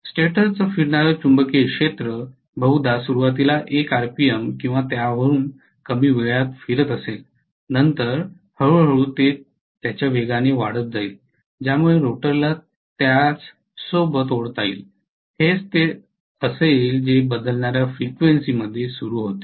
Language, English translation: Marathi, The stator revolving magnetic field is going to probably rotate initially at 1 rpm or less then it is going to slowly increase in its speed because of which the rotor can be dragged along that is what is going to happen in variable frequency starting